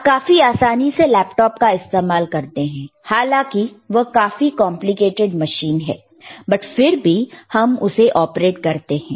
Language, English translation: Hindi, You can easily use laptop, this is how it is, it is extremely complicated machine, but what you are using you are just operating it